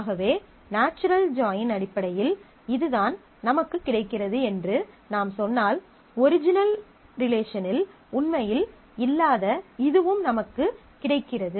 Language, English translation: Tamil, So, if I say this is what I get as well in terms of natural join, this is what I get as well in terms of the natural join which are really not there in the original relation